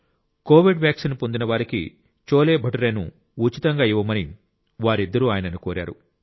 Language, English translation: Telugu, Both requested him to feed cholebhature for free to those who had got the COVID Vaccine